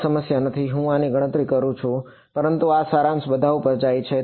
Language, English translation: Gujarati, No problem I calculate this, but this summation goes over all the pulses